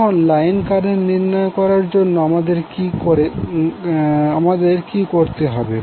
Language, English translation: Bengali, Now to find out the line current what we have to do